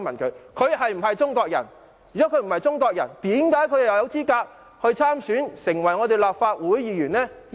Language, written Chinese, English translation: Cantonese, 假如他不是中國人，為何他有資格參選，成為立法會議員？, If he is not a Chinese why was he qualified to run for the election and how did he become a Member of the Legislative Council?